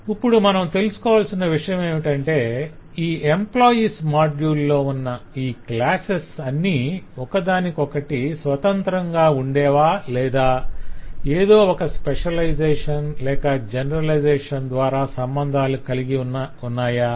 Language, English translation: Telugu, now the question is in that module, in that employees module at this classes are they going to remain independent standalone or are they going to be related through some specialization, generalization relationships